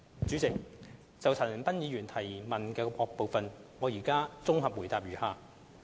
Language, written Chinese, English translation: Cantonese, 主席，就陳恒鑌議員質詢的各部分，現綜合回覆如下。, President my consolidated reply to the various parts of the question raised by Mr CHAN Han - pan is as follows